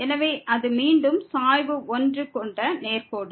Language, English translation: Tamil, So, it is again the straight line with slope 1